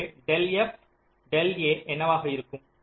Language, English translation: Tamil, so what will be del f, del a